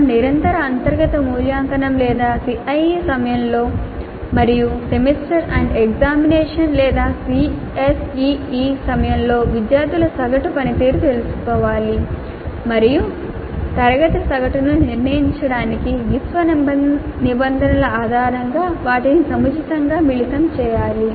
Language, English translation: Telugu, We have to take the average performance of the students during the internal evaluation or continuous internal evaluation or CIE and during the semester and examination or ACE and combine them appropriately based on the university regulations to determine the class average